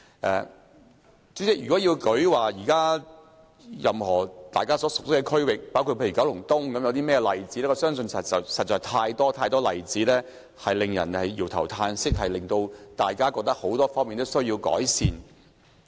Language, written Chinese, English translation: Cantonese, 代理主席，如果要列舉大家熟悉的區域，包括九龍東為例，我相信實在有太多例子令人搖頭嘆息，覺得很多方面都需要改善。, Deputy President in some districts which we are familiar with including Kowloon East there are too many disappointing examples because improvement is needed in many aspects